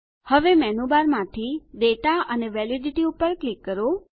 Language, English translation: Gujarati, Now, from the Menu bar, click Data and Validity